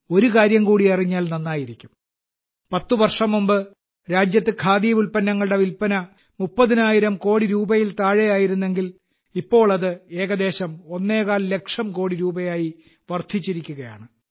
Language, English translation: Malayalam, You will be pleased to know of another fact that earlier in the country, whereas the sale of Khadi products could barely touch thirty thousand crore rupees; now this is rising to reach almost 1